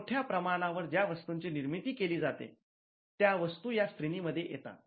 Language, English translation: Marathi, So, this is largely mass produced, goods which come under this category